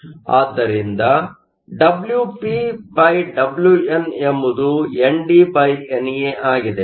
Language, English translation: Kannada, So, WpWn is nothing but NDNA which is 110